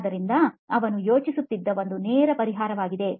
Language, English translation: Kannada, So that is one straightaway solution that he was thinking of